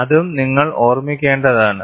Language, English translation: Malayalam, That also, you have to keep in mind